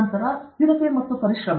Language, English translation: Kannada, Then tenacity and perseverance